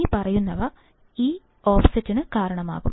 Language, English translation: Malayalam, The following can cause this offset